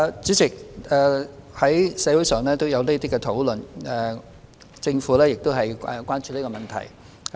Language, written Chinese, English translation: Cantonese, 主席，社會上有相關討論，政府亦很關注這問題。, President there have been relevant discussions in society and the Government is very concerned about this issue